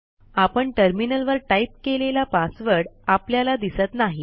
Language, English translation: Marathi, The typed password on the terminal, is not visible